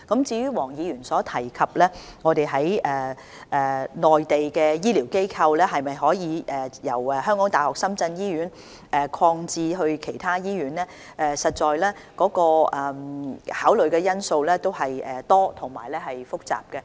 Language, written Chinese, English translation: Cantonese, 至於黃議員詢問醫療券在內地的適用範圍可否由港大深圳醫院擴展至其他醫院，這方面要考慮的因素實在多而複雜。, Mr WONG asked whether the scope of application of HCVs can be extended from HKU - SZH to other hospitals on the Mainland . The factors of consideration in this respect are indeed numerous and complicated